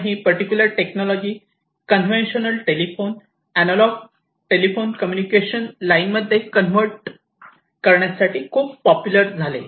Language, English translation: Marathi, And, this particular technology became very popular in order to convert the conventional telephone, you know, analog telephone communication lines